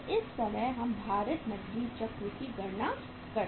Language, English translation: Hindi, So this way we can calculate the weighted cash cycle